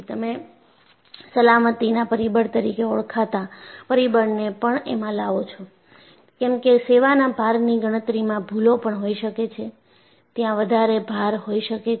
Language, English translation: Gujarati, You bring in a factor called factor of safety, because there may be mistakes in calculating the service loads; there may be over loads; there may be material defects